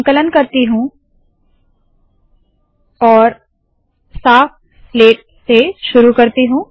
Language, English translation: Hindi, Ill compile this and start with a clean slate